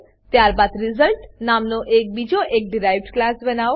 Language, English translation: Gujarati, *Then create another derived class as result